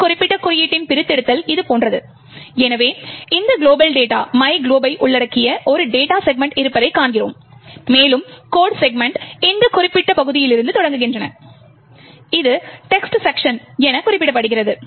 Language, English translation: Tamil, The disassembly of this particular code looks something like this, so we see that there is a data segment comprising of this global data myglob and the codes segments starts from this particular section, which is denoted as the text section